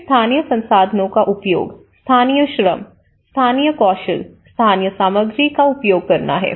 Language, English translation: Hindi, Then, use of local resources; using the local labour, local skills, local materials